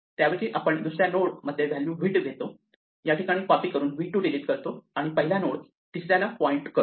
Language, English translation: Marathi, So, instead we take the value in the second node which was v 2, copy it here and then pretend we deleted v 2 by making the first node point to the third